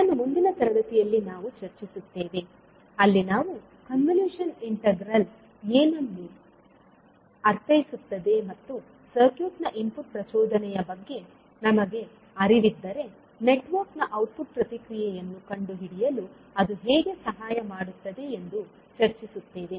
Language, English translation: Kannada, This, we will discuss in the next session where we will see what do we mean by the convolution integral and how it can help in finding out the output response of a circuit where we know the input impulse response of the network